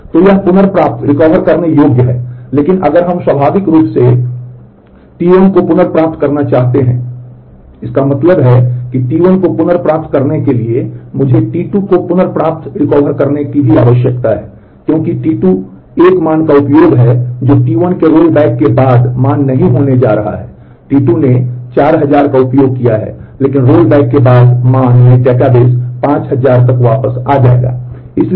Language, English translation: Hindi, So, this is recoverable, but if we want to recover T 1 naturally; that means, that for T 1 to be recovered, I also need to recover T 2 because T 2 is used a value which is not going to be the value in after the rollback of T 1 has happened T 2 has used 4000, but after the rollback the value in the database will be back to 5000